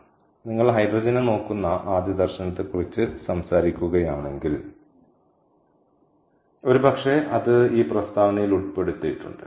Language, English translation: Malayalam, ok, so if you talk about the first vision of looking at hydrogen, probably that is embedded in this statement